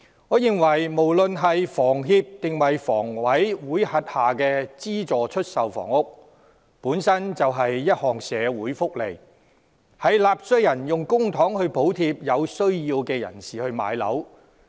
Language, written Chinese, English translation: Cantonese, 我認為，無論是香港房屋協會或香港房屋委員會轄下的資助出售房屋，本身便是一項社會福利，是納稅人用公帑補貼有需要人士買樓。, I cannot agree to such a suggestion . In my view subsidized sale flats―whether under the Hong Kong Housing Society or the Hong Kong Housing Authority HA―are in themselves a form of social benefit in which those in need are being subsidized for buying flats with public money from taxpayers